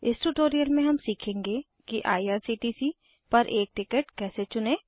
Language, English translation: Hindi, In this tutorial we will learn How to choose a ticket at irctc